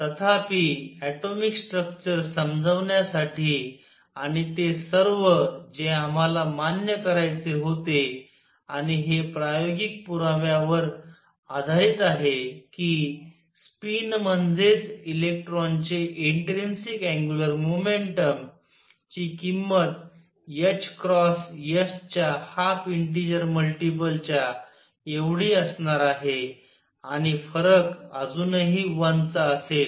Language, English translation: Marathi, However to explain atomic structure and all that we had to admit and this is based on experimental evidence, that spin the intrinsic angular momentum of an electron would have the value of half integer multiple of h cross, and the difference would still be 1